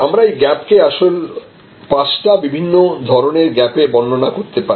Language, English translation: Bengali, So, there is a gap actually can also be expressed in five different types of gaps